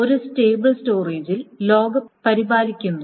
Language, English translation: Malayalam, So, log is maintained on a stable storage